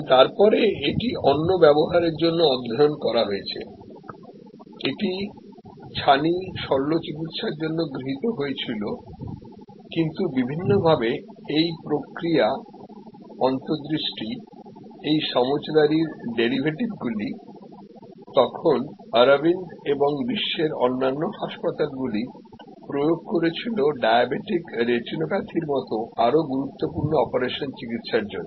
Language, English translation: Bengali, And has been then studied for use, this was adopted for cataract surgery, but in many different ways, the derivatives of this understanding this process insight were then applied by Aravind and other hospitals around the world for treating more critical operations, like say diabetic retinopathy